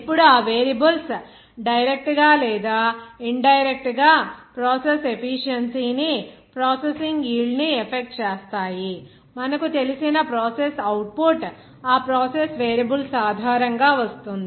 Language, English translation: Telugu, Now, those variables, of course, will be directly or indirectly affecting the process efficiency, processing yield, process you know that output, the amount based on those process variables